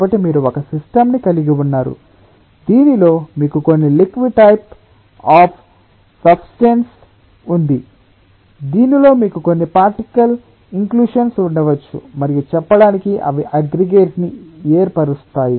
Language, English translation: Telugu, so you are having a system in which you have some liquid type of substrate in which you may have some particulate inclusions and they have formed aggregates, so to say